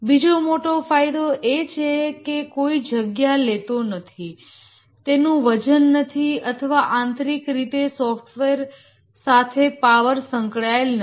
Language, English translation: Gujarati, The other big advantage is that consumes no space, it has no weight or intrinsically there is no power associated with software